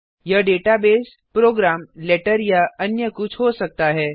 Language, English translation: Hindi, It can be a database, a program, a letter or anything